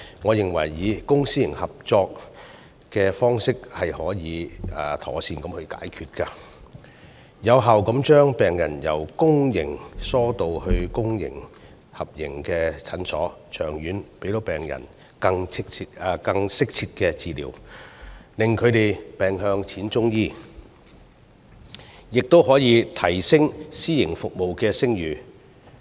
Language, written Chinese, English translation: Cantonese, 我認為公私營合營方式可以妥善解決這些問題，有效地將病人由公營醫療系統疏導至公私合營診所，長遠令病人得到更適切的治療，令他們"病向淺中醫"，亦可以提升私營服務的聲譽。, In my view the public - private partnership approach can satisfactorily resolve these problems and effectively divert patients from the public healthcare system to clinics run under public - private partnership . In the long run this will enable patients to receive more suitable treatment and encourage them to seek medical treatment at an early stage . Also this can enhance the reputation of the services provided by the private sector